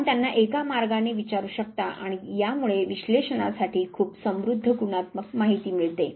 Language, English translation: Marathi, And you can ask them in one way and this would lead to very rich qualitative data for interpretation